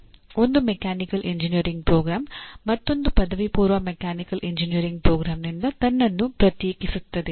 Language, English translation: Kannada, They can, one Mechanical Engineering program can differentiate itself from another undergraduate mechanical engineering program